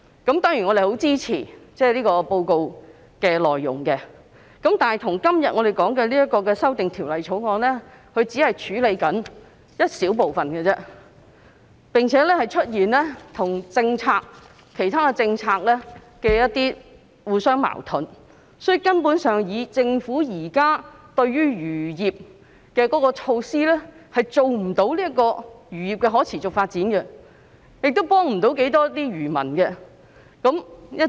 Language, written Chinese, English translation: Cantonese, 我當然十分支持報告的內容，但我們今天討論的《條例草案》只是處理一小部分問題而已，並且跟其他政策互相矛盾，所以政府現時就漁業推行的措施根本無法令漁業達致可持續發展，也幫不了漁民多少。, Of course I fully support what was written in the report but the Bill under our discussion today only deals with a small part of the problems . Moreover it is in conflict with other policies . For this reason the measures currently adopted by the Government for the fisheries industry are in fact unable to foster sustainable fisheries